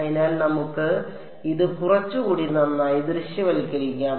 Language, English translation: Malayalam, So, let us sort of visualize this a little bit better